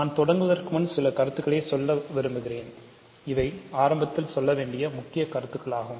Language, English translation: Tamil, So, before I start, some comments I want to make and these are important comments to make in the beginning